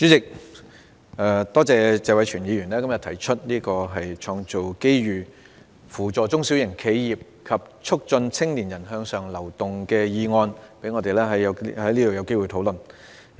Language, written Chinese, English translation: Cantonese, 主席，多謝謝偉銓議員今天動議"創造機遇扶助中小型企業及促進青年人向上流動"的議案，讓我們有機會在這裏討論。, President I would like to thank Mr Tony TSE for moving todays motion on Creating opportunities to assist small and medium enterprises and promoting upward mobility of young people so that we have an opportunity to hold a discussion